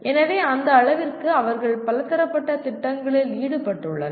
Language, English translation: Tamil, So to that extent they are involved in multidisciplinary projects